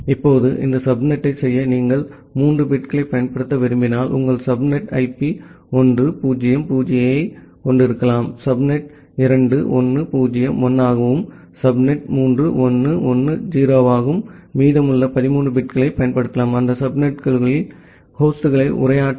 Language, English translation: Tamil, Now, if you want to use three bits for doing this subnet, your subnet IP can have the IP of 1 0 0, subnet 2 can be 1 0 1, subnet 3 can be 1 1 0, and the remaining 13 bits can be used to addressing the hosts inside those subnets